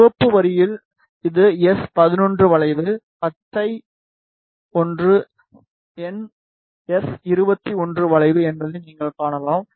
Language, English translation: Tamil, In the red line you can see that this is the S 11 curve the green one is the S 2 1 curve